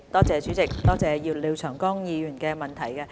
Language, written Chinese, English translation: Cantonese, 主席，多謝廖長江議員的補充質詢。, President I thank Mr Martin LIAO for his supplementary question